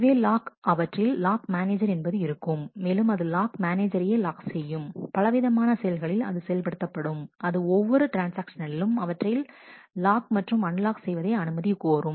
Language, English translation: Tamil, It is the lock there is a lock manager, which implements the locking the lock manager itself runs on a different process to which every transactions end lock and unlock requests